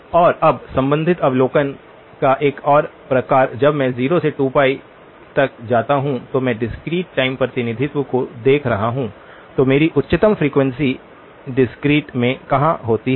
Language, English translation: Hindi, And another sort of related observation now, when I go from 0 to 2 pi, where does my highest frequency occur in the discrete when I am looking at the discrete time representation